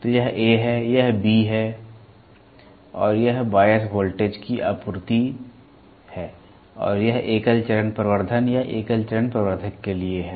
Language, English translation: Hindi, So, this is A, this is B and then this is the bias voltage supply and this is for a single stage amplification or a single stage amplifier